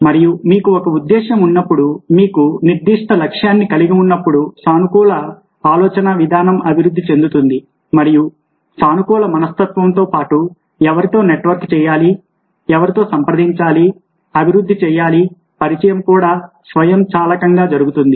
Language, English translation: Telugu, so have a positive mind set and a positive mind set will be evolved when you have a purpose, you have a certain set of goals and, along with positive mindset, who to network with, who to contact, develop, evolve, contact with also will automatically happen